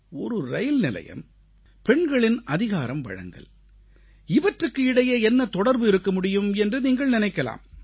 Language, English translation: Tamil, You must be wondering what a railway station has got to do with women empowerment